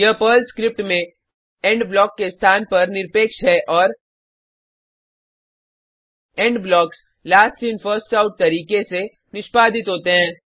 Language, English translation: Hindi, This is irrespective of the location of the END block inside the PERL script and END blocks gets executed in the Last In First Out manner